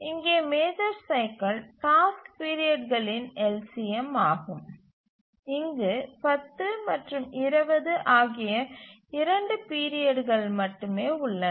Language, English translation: Tamil, The major cycle is the LCM of the task periods and here there are only two periods, 10 and 20